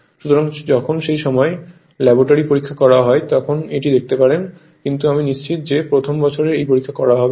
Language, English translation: Bengali, So, when we will do the laboratory experiment at that time you can see this, but I am not sure whether you will do the same experiment of first year or not right